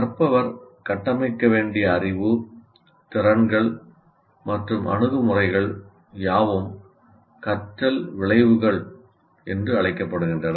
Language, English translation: Tamil, And the knowledge, skills and attitudes, the learner has to construct are what we called as learning outcomes